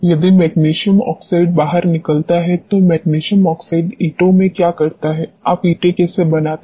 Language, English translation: Hindi, If magnesium oxide leaches out what does magnesium oxide does in bricks how do you make bricks